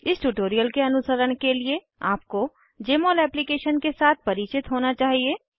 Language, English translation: Hindi, To follow this tutorial you should be familiar with Jmol Application